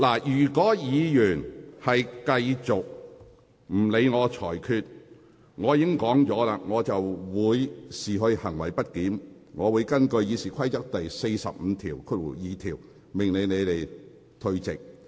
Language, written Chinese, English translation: Cantonese, 如果議員繼續不理會我的裁決，正如我剛才所說，我會視之為行為極不檢點，並會根據《議事規則》第452條，命令有關議員退席。, As I have said just now a Members act of continuously ignoring my ruling will be regarded as grossly disorderly conduct for which I may order the Member concerned to withdraw from this meeting under RoP 452